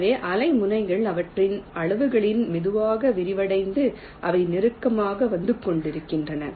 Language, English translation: Tamil, so the wavefronts are slowly expanding in their sizes and they are coming closer and closer together